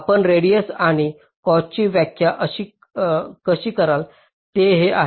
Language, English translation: Marathi, the way you define the radius and cost is like this